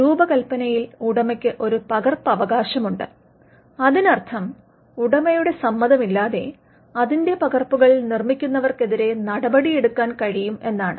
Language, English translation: Malayalam, The owner has a copyright in the design, which means the owner can take action against other people who make copies of it without his consent